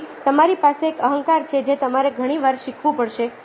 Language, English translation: Gujarati, so you have an ego ah which you have to unlearn